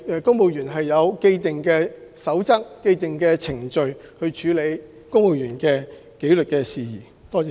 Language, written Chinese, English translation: Cantonese, 公務員事務局有既定守則和程序處理公務員紀律事宜。, The Civil Service Bureau has put in place established codes of practices and procedures to address civil servants disciplinary issues